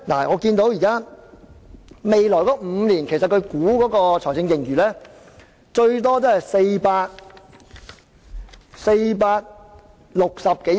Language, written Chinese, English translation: Cantonese, 我留意到司長估算未來5年的財政盈餘最多為460多億元。, I notice that according to the estimate of the Financial Secretary the surplus for the next five years will be 46 - odd billion at the maximum